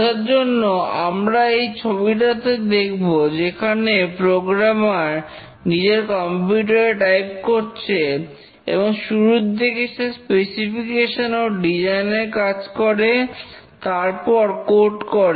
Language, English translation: Bengali, The programmer here is typing using his laptop or desktop and initially does the specification, design and then code